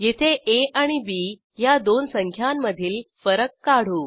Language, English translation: Marathi, And here we calculate the difference of two numbers a and b